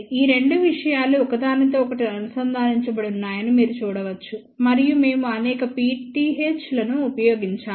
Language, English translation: Telugu, You can see that these two things are connected together and we have put multiples of pth